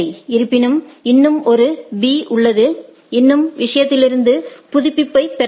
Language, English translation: Tamil, However, still there is a B is still get yet to get the update from the thing right